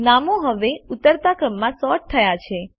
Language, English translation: Gujarati, The names are now sorted in the descending order